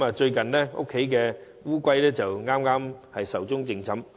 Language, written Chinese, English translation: Cantonese, 最近家中的龜剛壽終正寢。, Recently my tortoise passed away